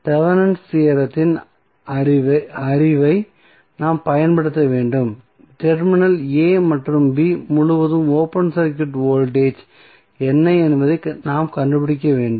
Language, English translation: Tamil, We have to utilize our the knowledge of Thevenin's theorem and we need to find out what would be the open circuit voltage across terminal a and b